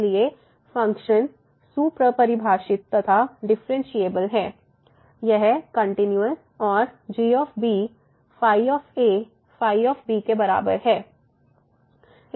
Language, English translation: Hindi, So, the function is well defined the function is differentiable, it is continuous and is equal to